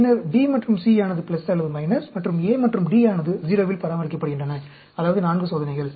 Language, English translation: Tamil, And then, B and C at plus or minus, and A and D are maintained at 0, that is 4 experiments